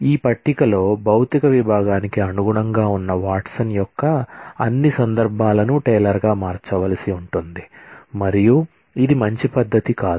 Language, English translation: Telugu, All instances of Watson that corresponded to the Physics department in this table, will have to be changed to Taylor, and that is not a good scenario